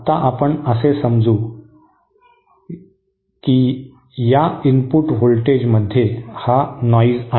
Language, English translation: Marathi, For now let us assume that input voltage is noise